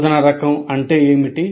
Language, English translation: Telugu, What is the instruction type